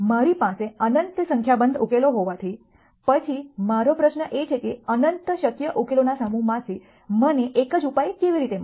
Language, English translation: Gujarati, Since I have in nite number of solutions then the question that I ask is how do I find one single solution from the set of infinite possible solutions